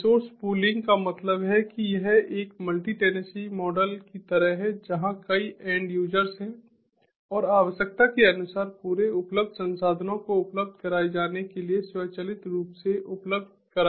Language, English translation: Hindi, resource pooling means that it is sort of like a multi, multi tenancy model where there are multiple end users and automatically, as per the requirement, the whole available resources would be made available